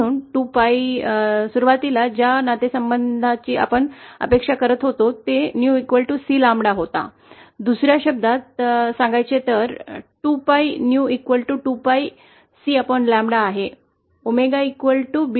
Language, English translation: Marathi, So 2 Pi, initially the relation we were expecting was New equal to C upon lambda, on in other words 2 Pi new is equal to 2 Pi C upon lambda